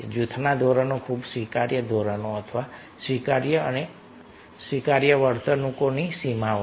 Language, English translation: Gujarati, so group norms are very much acceptable: standard or boundaries of acceptable and acceptable behaviors